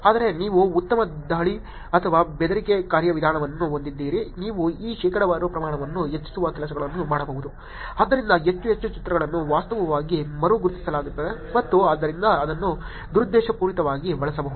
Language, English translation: Kannada, Whereas, if you were to have a better attack or threat mechanism you could actually do things by which you can increase this percentage to more, so more and more pictures are actually re identified and therefore it can be actually used maliciously